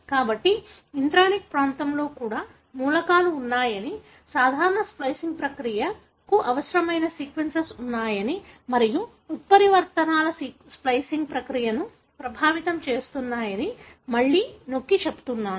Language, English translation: Telugu, So, that is again to emphasize that even in intronic region there are elements, there are sequence that are necessary for the normal splicing process and mutations may affect the splicing process